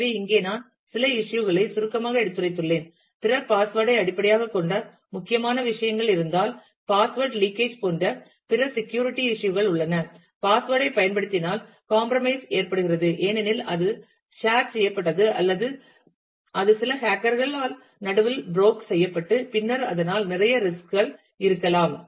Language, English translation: Tamil, So, here I have just briefly highlighted some of those issues, there are other security issues like, leakage of password if there are important things which are based on a single password then, use the password gets compromised because, it is shared or it is broken in a middle by some hacker and so on then, you will have a lot of risks involved